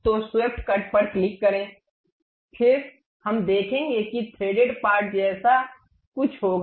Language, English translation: Hindi, So, click swept cut then we will see something like a threaded portion passes